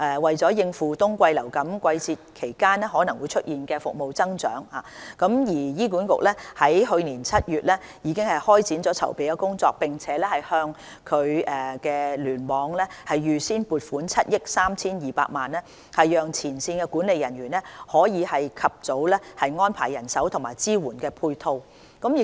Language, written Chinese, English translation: Cantonese, 為應付冬季流感季節期間可能出現的服務需求增長，醫管局在去年7月已開展籌備工作，並向醫院聯網預先撥款7億 3,200 萬元，讓前線管理人員可以及早安排人手及支援配套。, To cope with the surge in service demand that may happen during the winter influenza season HA started to make preparations in July last year and allocated around 732 million to hospital clusters in advance to facilitate the early preparation by frontline management staff on manpower and supporting arrangement